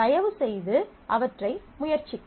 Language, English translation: Tamil, So, please try them out